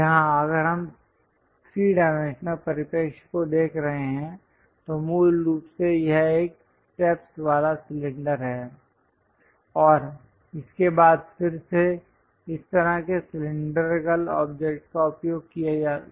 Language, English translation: Hindi, Here, if we are looking at that 3 dimensional perspective, basically it is a cylinder having steps and that is again followed by such kind of cylindrical object